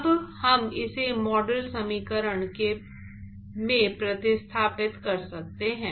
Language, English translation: Hindi, So now, we can substitute that in the model equation